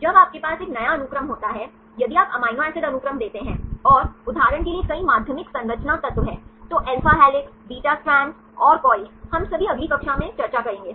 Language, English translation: Hindi, when you have a new sequence, if you give the amino acids sequence and there are several secondary structure elements for example, alpha helices, beta strands and the coils, and all we’ll discuss in the next class right